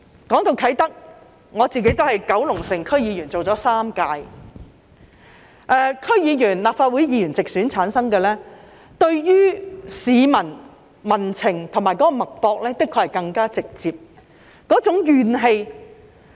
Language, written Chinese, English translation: Cantonese, 談到啟德，我擔任了3屆九龍城區議員，由直選產生的區議員及立法會議員，的確是更直接感受到民情及社會脈搏，以及那種怨氣。, Speaking of Kai Tak I served as a member of the Kowloon City District Council for three terms . Members of the District Councils and the Legislative Council returned by direct elections can indeed feel public sentiments and the pulse of society as well as the grievances more directly